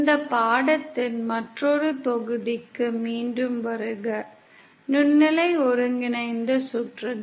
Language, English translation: Tamil, Welcome back to another module of this course, Microwave Integrated Circuits